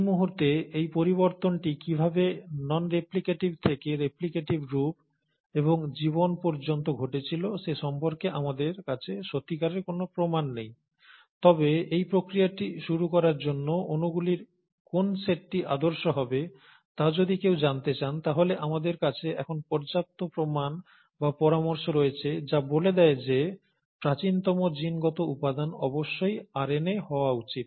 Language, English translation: Bengali, At this time, we don’t really have the clear proof as to how this change happened from a non replicative to the replicative form and life, but, if one were to look at which set of molecules would have been the ideal initiator of this process, we now have sufficient proof or suggestions which suggest that the earliest genetic material must have been RNA